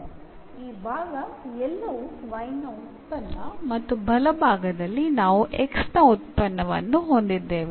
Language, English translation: Kannada, So, we have this side everything the function of y and the right hand side we have the function of x